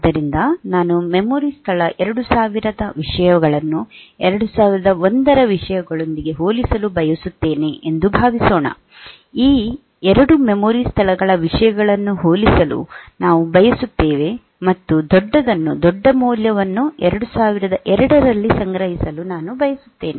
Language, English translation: Kannada, So, suppose I want to come compare the contents of memory location 2000 with 2001, we want to compare the contents of these 2 memory locations, and store the larger one, the larger value, I want to store in say 2002